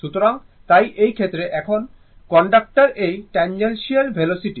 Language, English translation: Bengali, So, just hold on, so in this case, now v is the tangential velocity of the conductor, right